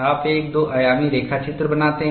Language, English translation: Hindi, You make a two dimensional sketch